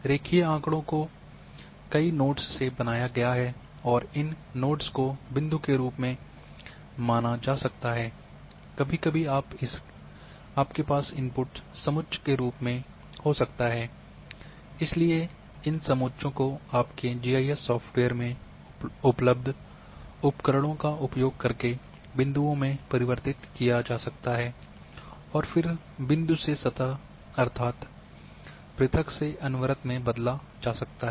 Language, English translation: Hindi, Line data you know that line is made from several nodes and these nodes can be treated as point so sometimes you might be having input as contours, so these contours can be converted into points using the tools available in your GIS software and then point to surface that is going from discrete to continuous